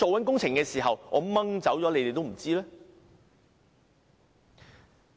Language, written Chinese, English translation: Cantonese, 工程完工後，是要驗收的。, Upon the completion of the works there is the acceptance procedure